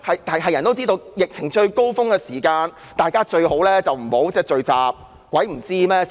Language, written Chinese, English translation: Cantonese, 所有人也知道，在疫情最高峰時，大家最好不要聚集，誰不知道呢？, We all know that we should not gather during the epidemic peak . It is a common knowledge